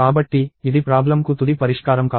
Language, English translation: Telugu, So, this is not the final solution to the problem